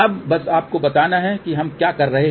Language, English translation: Hindi, Now just to tell you, so what are we doing